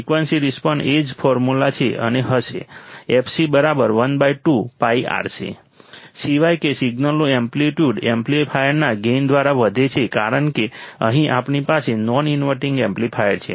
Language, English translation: Gujarati, The frequency response is the same formula and would be f c equal to one upon 2 pi R C, except that the amplitude of the signal is increased by the gain of the amplifier because here we have a non inverting amplifier